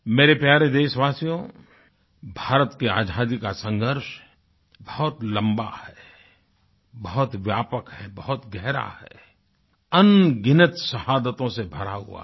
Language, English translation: Hindi, The history of India's struggle for independence is very long, very vast and is filled with countless sacrifices